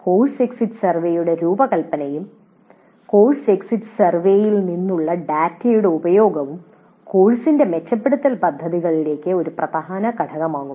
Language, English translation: Malayalam, And the design of the course exit survey as well as the use of data from the course grid survey would form an important component in improvement plans of the course